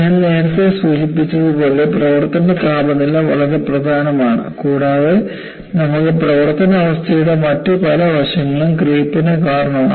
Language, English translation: Malayalam, As I mentioned earlier, operating temperature is very important and you have many other aspects of the service condition, contribute to creep